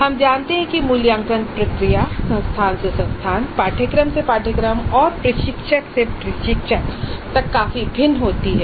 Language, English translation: Hindi, We know that the assessment process varies considerably from institute to institute and from course to course and from instructor to instructor also